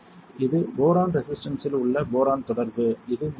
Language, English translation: Tamil, This is boron contact on the boron resistor see this is the top view